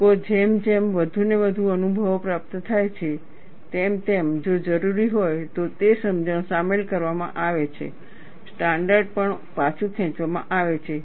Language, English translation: Gujarati, People, as more and more experience pour in, those understandings are incorporated, if necessary, even the standard is withdrawn